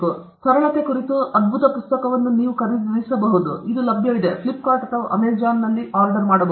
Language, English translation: Kannada, Then his brilliant book on simplicity you can buy; it is available; you can buy it on Flipkart or Amazon